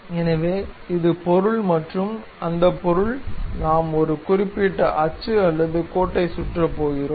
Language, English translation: Tamil, So, this is the object and that object we are going to revolve around certain axis or line